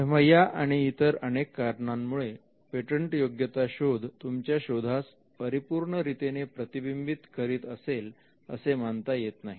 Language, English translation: Marathi, Now for this and for many more reasons we do not consider a search to be a perfect reflection of patentability of our invention